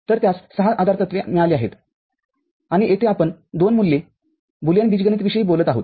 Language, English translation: Marathi, So, it has got 6 postulates and here we are talking about two valued Boolean algebra